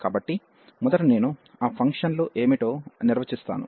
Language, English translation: Telugu, So, first I will define what are those functions